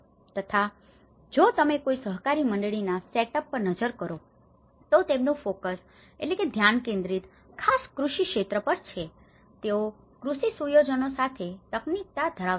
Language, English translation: Gujarati, So, if you look at the setup of any cooperative society which is focused on a particular agricultural sector, they were having the technicality with relation to the agricultural setups